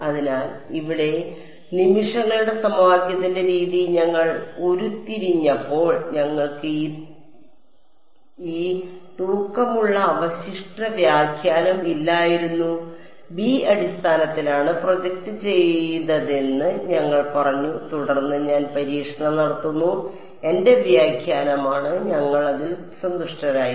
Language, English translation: Malayalam, So, here when we have derived the method of moments equation over here, we did not have this weighted residual interpretation right, we just said phi is projected on basis b then I do testing along t m that was my interpretation we were happy with it